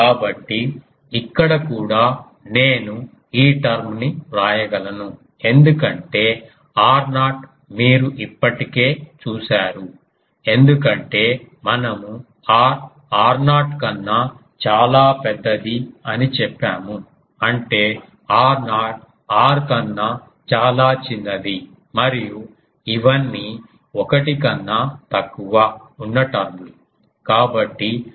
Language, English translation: Telugu, So, here also can I write that this term because r naught you see already we have said that r is much larger than r naught; that means, r naught is much smaller than r and these are all terms which are less than 1